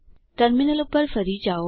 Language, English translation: Gujarati, Switch back to the terminal